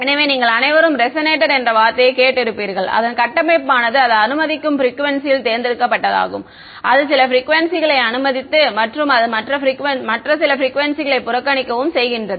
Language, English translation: Tamil, So, you all have heard the word resonator it means that its a structure which is selective in frequency it allows some frequency and it disregards the other frequencies